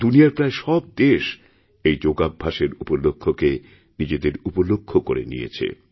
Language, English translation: Bengali, Almost all the countries in the world made Yoga Day their own